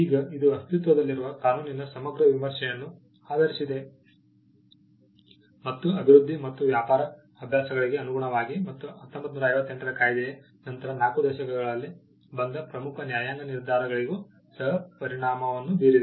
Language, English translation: Kannada, Now, this was based on a comprehensive review of the existing law, and in tune with the development and trade practices, and to give also effect to important judicial decisions which came in the 4 decades after the 1958 act